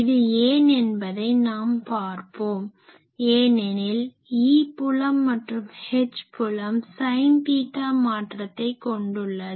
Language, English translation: Tamil, So, now can you explain why this is so, because the E field and H field both have a sin theta variation